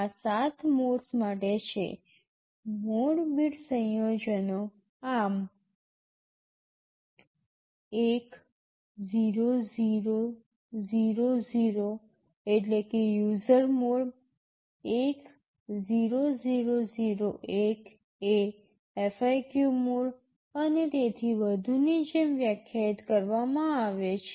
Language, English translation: Gujarati, For these 7 modes, the mode bit combinations are defined like this 10000 the means user mode, 10001 is FIQ mode, and so on